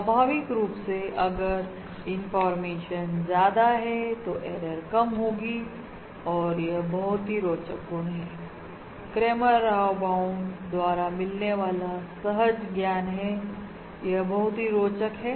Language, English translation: Hindi, Naturally, if the information is more, the error is going to be lower, and that is an interesting property of that, that is an interesting intuition from the Cramer Rao bound